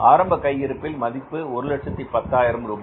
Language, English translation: Tamil, Total value of this stock is 130,000 rupees